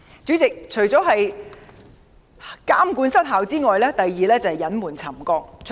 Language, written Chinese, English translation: Cantonese, 主席，除了監管失效外，第二個問題是隱瞞沉降。, President other than ineffective monitoring the second problem is the concealment of settlement